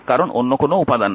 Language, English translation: Bengali, So, there is no other element here